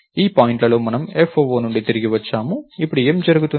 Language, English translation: Telugu, And this point we return from foo, what would happen now